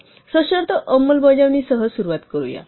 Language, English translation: Marathi, Let us begin with conditional execution